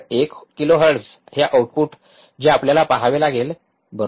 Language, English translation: Marathi, One kilohertz what is the output that we have to see right